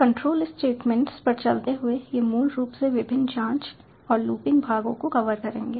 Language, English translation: Hindi, moving on to control statements, these will basically cover the various checking and looping parts